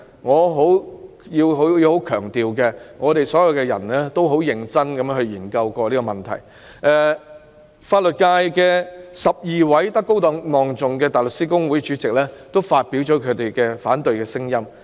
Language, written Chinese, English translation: Cantonese, 我要強調所有人均認真地研究這個問題，而法律界12名德高望重的現任及前任香港大律師公會主席均表達了反對聲音。, I need to stress that everyone has seriously looked into this issue and 12 venerated members of the legal sector presently or formerly serving as Chairman of the Hong Kong Bar Association have expressed their opposition